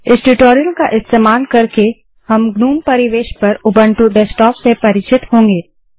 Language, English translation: Hindi, Using this tutorial, we will get familiar with the Ubuntu Desktop on the gnome environment